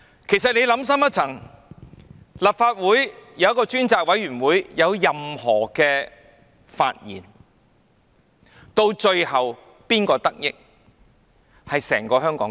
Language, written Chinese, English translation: Cantonese, 其實，你想深一層，立法會成立專責委員會，若有任何發現，到最後得益的是整個香港。, Actually if you think again you should know that Hong Kong as a whole will be the ultimate beneficiary if the select committee established by the Legislative Council manages to uncover new information about the incidents